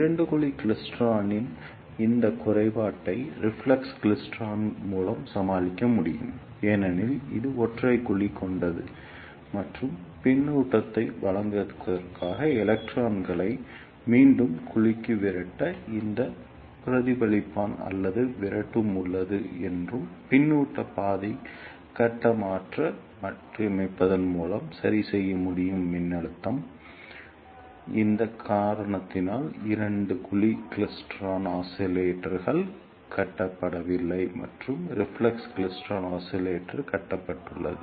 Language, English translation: Tamil, This disadvantage of two cavity klystron can be overcome by reflex klystron, because it has single cavity, and there is a reflector or repeller to repel the electrons back to the cavity to give feedback and the feedback path phase shift can be adjusted by varying the repeller voltage, because of this reason the two cavity klystron oscillators are not constructed and reflex klystron oscillator are constructed